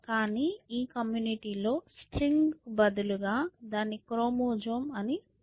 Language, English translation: Telugu, But if I were to be from this community, instead of string I would say chromosome